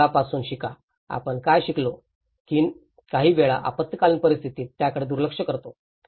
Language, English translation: Marathi, Learn from past, what are the learnings that we, sometimes we ignore them at that time of emergency